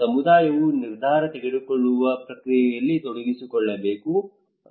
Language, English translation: Kannada, Community should be involved into the decision making process